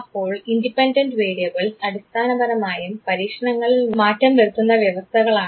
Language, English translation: Malayalam, Now, independent variables basically are the conditions that are varied in the experiments